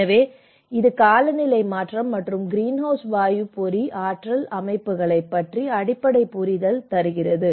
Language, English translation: Tamil, So, this is the basic understanding of climate change and the greenhouse gas trap energy systems